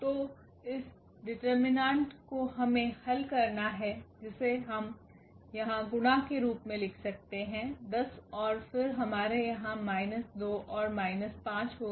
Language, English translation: Hindi, So, this determinant we have to solve which we can make this product here, the 10 and then we will have here minus 2 and minus 5